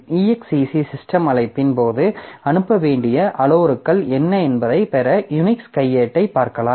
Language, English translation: Tamil, So, you can look into the manual of Unix to get what are the parameters to be passed in case of exec system call